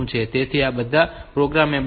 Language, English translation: Gujarati, So, all these are programmable